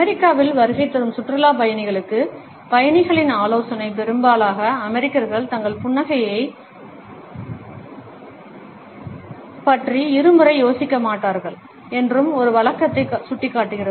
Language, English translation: Tamil, Traveler advice to tourists visiting in the US, points out one custom most Americans would not think twice about, their smile